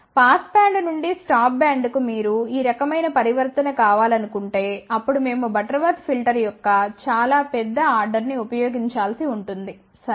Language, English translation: Telugu, But we will see later on that if you want this kind of a transition from pass band to the stop band, then we may have to use a much larger order of Butterworth filter, ok